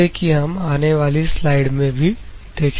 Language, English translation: Hindi, We will see in the upcoming slide